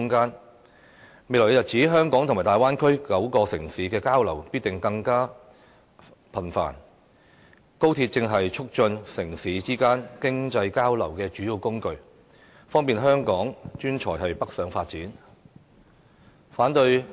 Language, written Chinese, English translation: Cantonese, 在未來日子，香港與大灣區9個城市的交流必定更加頻繁，高鐵正好是促進城市之間經濟交流的主要工具，方便香港專才北上發展。, In the days to come there will be even more frequent exchanges between Hong Kong and nine major cities in the Bay Area and XRL is the major means of transport promoting economic exchanges among these cities . It will also facilitate Hong Kongs professional talents to seek development opportunities in China